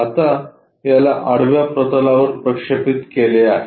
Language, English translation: Marathi, Now, this one projected onto a horizontal plane that is this